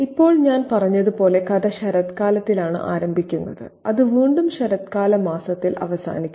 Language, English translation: Malayalam, Now, as I said, the story begins in autumn and it ends in the month of autumn again